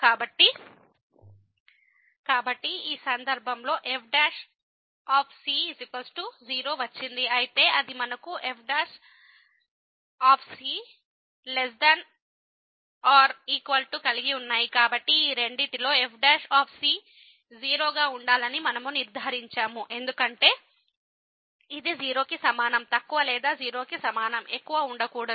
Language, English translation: Telugu, So, out of these two we conclude that the prime has to be because it cannot be less than equal to or greater than equal to at the same time